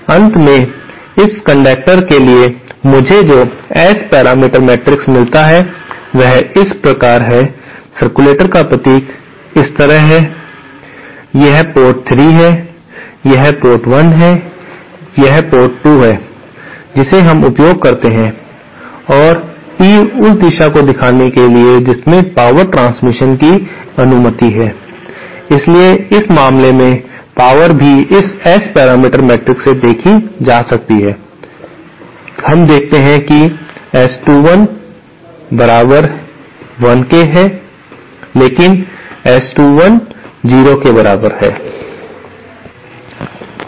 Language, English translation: Hindi, the final S parameter matrix that I get for this circulator can be given asÉ The symbol of a circulator is like this, this is port 3, this is port 1, this is port 2 we use and arrow to show the direction in which power transfer is allowed, so in this case, power as also seen from this S parameter matrix, we see that S 21 equal to1 but S21 equal to 0